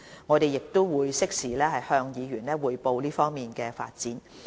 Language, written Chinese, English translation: Cantonese, 我們會適時向議員匯報這方面的進展。, We will report the progress on this front to Members in due course